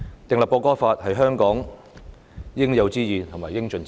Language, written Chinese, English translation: Cantonese, 定立《條例草案》是香港應有之義和應盡之責。, It is the due obligation and responsibility of Hong Kong to enact the Bill